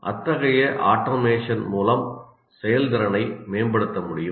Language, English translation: Tamil, Actually, such automation of the performance can be improved